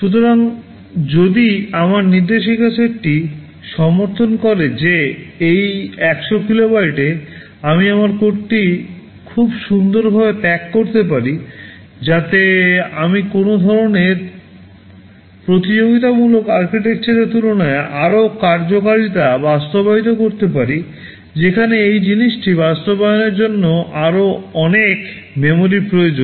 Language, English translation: Bengali, So, if my instruction set supports that in this 100 kilobytes, I can pack my code very nicely, so that I can implement more functionality greater functionality as compared with some kind of competing architecture where a much more memory would be required to implement the same thing